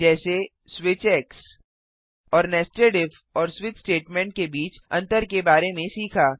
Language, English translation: Hindi, Switch And Difference between nested if and switch statements